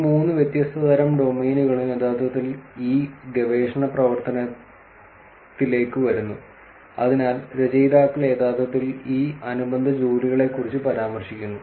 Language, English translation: Malayalam, All these three different types of domains actually come into this research work, so the authors actually mention about these related work